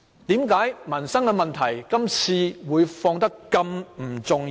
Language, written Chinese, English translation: Cantonese, 為何民生問題今天變得不甚重要？, How come livelihood issues become not important today?